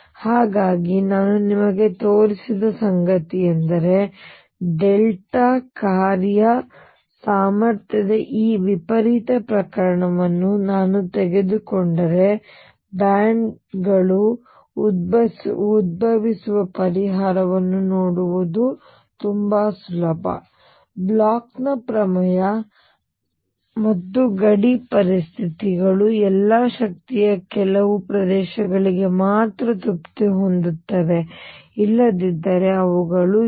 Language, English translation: Kannada, So, what I have shown you is that if I take this extreme case of delta function potential it is very easy to see that bands arise solution exist, the Bloch’s theorem and boundary conditions all are satisfied only for certain regions of energy, otherwise they are not